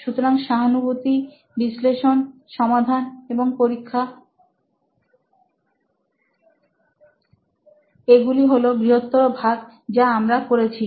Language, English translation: Bengali, So empathize, analyze, solve and test so these are the sort of broad categories what we are doing